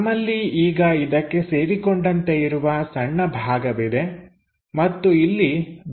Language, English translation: Kannada, So, we have this small portion which is attached there and this one material has been removed